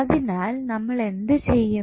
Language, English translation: Malayalam, So, how we will do